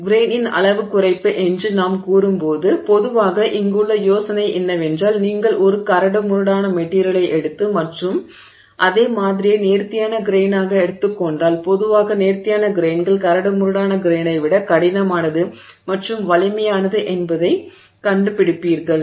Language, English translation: Tamil, So, when we say grain size reduction, so generally the idea here is that if you take a coarse grained material and take the same sample as a fine grained material, you will find that the fine grained material is typically harder and stronger than the coarse grain material